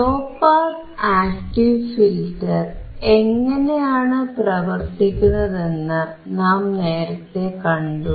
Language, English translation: Malayalam, We have earlier seen how the low pass active filter works